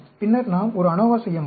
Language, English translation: Tamil, Then, we can perform an anova